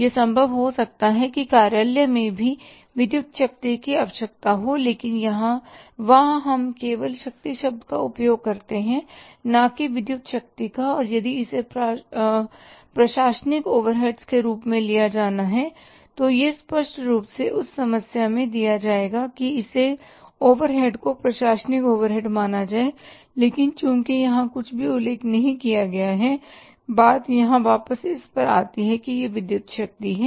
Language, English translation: Hindi, It may be possible that electric power is required in the office also but there we use the term only power not the electric power and if it has to be taken as a administrative overhead then it will be clearly given to you in the problem that this overhead has to be considered for the administrative overheads but since here nothing is mentioned and the world written here is the electric power so it means electric power is the power required in the factory and it is an additional overhead so it, it means electric power